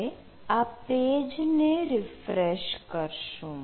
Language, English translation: Gujarati, now we need to refresh this webpage